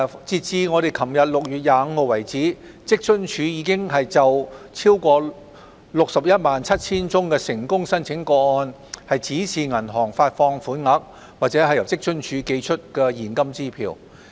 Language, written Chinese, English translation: Cantonese, 截至昨天6月25日為止，職津處已就超過 617,000 宗成功申請個案指示銀行發放款額，或由職津處寄出現金支票。, As at yesterday 25 June WFAO has given bank instructions to disburse payments or encash cash cheques for more than 617 000 successful applications